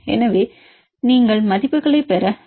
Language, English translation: Tamil, So, you can use the values